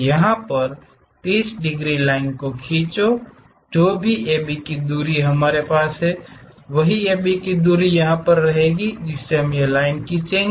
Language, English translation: Hindi, Draw a 30 degrees line whatever the AB distance we have the same AB distance we are going to have it